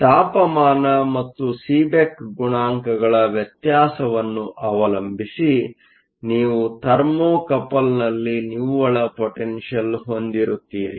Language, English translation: Kannada, So, depending upon the temperature and the difference in the Seeback coefficients you will have a net potential in the Thermocouple